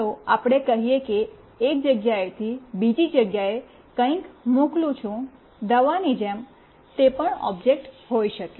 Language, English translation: Gujarati, Let us say I am sending something from one place to another like a medicine, that could be also an object